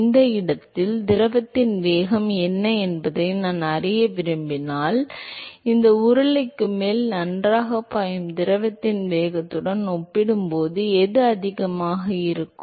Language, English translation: Tamil, If I want to know what is the velocity of the fluid at that location compare to the velocity of the fluid which is flowing well above this cylinder, which one will be higher